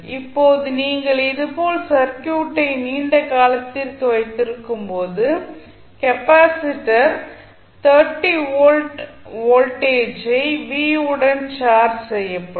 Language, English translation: Tamil, Now, when you keep the circuit like this for a longer duration, the capacitor will be charged with the voltage v which is 30 volt